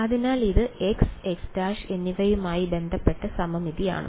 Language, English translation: Malayalam, So, it is symmetric with respect to x and x prime right